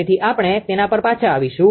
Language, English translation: Gujarati, So, we will come back to that